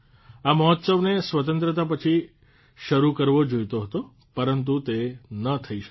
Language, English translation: Gujarati, It should have been started after independence, but that too could not happen